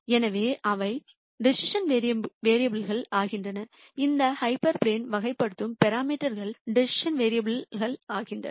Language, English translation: Tamil, So, those become the decision variables the parameters that characterize these hyper planes become the decision variables